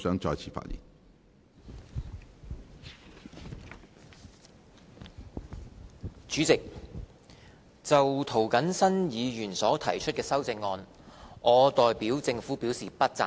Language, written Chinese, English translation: Cantonese, 主席，就涂謹申議員所提出的修正案，我代表政府表示不贊成。, Chairman I oppose the amendments proposed by Mr James TO on behalf of the Government